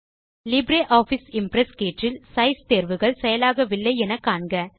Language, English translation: Tamil, In the LibreOffice Impress tab, you will find that the Size options are disabled